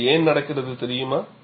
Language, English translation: Tamil, Do you know why this happens